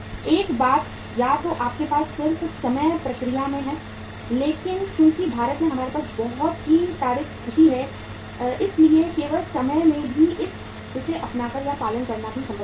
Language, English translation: Hindi, One thing is either you have just in time process but since we have very rough logistic situation in India so adopting or following even just in time is also not possible